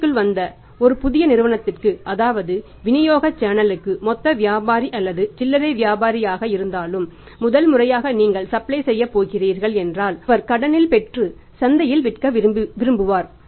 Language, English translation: Tamil, If we are going to supply to a new company who has comes in the market for the first time if you are going to supply to them or maybe a channel of distribution wholesaler retailer who has come for the first time in the market he want to have the credit and then to sell in the market